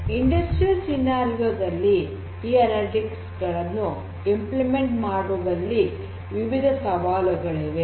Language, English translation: Kannada, So, there are different challenges in implementing analytics in an industrial scenario